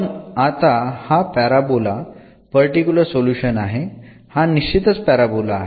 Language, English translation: Marathi, But now this is a particular solution say parabola it is a fixed parabola